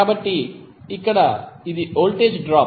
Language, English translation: Telugu, So here it is a voltage drop